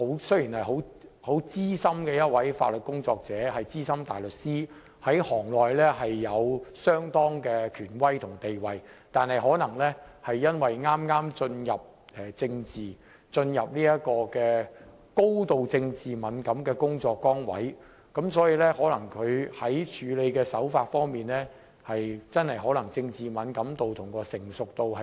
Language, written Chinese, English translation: Cantonese, 雖然她是資深的法律工作者、資深大律師，在行內有相當的權威和地位，但她剛剛進入這個高度政治敏感的工作崗位，其處理手法可能欠缺政治敏感度及成熟度。, Although she is a seasoned legal professional a Senior Counsel with certain authority and status in the profession she is new to such a highly political sensitive position and her handling of the matter might devoid of the required political sensitivity and maturity